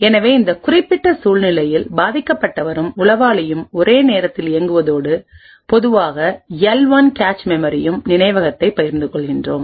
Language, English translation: Tamil, So given this particular scenario we have the victim and the spy running simultaneously and sharing the common L1 cache memory